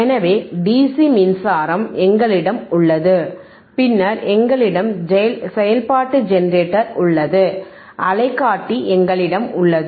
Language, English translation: Tamil, So, we have our DC power supply, then we have function generator, and we have oscilloscope